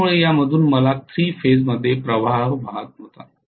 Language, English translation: Marathi, So I did not have specifically 3 phase current flowing through this